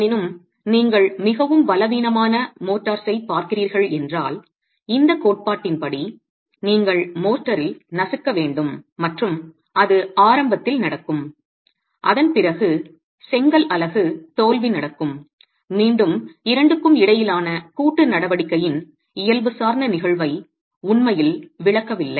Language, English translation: Tamil, However, if you are looking at very weak motors, then as per this theory, you should have crushing in the motor that happens quite early on and the failure in the brick unit that happens after, which again does not really explain the physical phenomenon of co action between the two